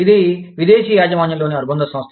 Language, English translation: Telugu, It is a foreign owned subsidiary